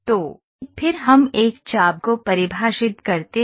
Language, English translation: Hindi, So, then let us define an arc